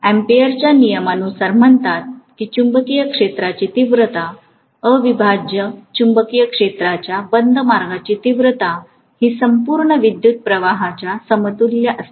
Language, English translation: Marathi, Because Ampere’s Law essentially says that the magnetic field intensity, the integral of magnetic field intensity along the closed path will be equal to the total current you know linked with that contour